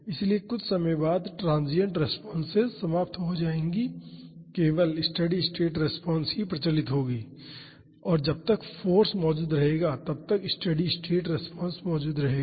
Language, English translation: Hindi, So, after some time the transient responses will die out and only the steady state response will be prevalent and the steady state response will be present as long as the force exists